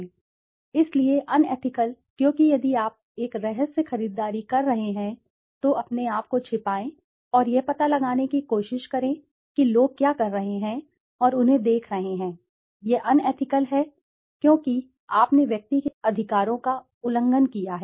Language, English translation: Hindi, So unethical because if you are doing a mystery shopping, hiding yourself and trying to find out what people are doing and observing them, that is unethical, so because you have violated the individual s rights